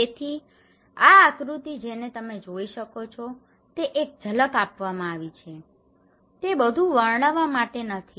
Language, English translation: Gujarati, So this is the diagram you can see and so this is just a glimpse to give you not to narrate everything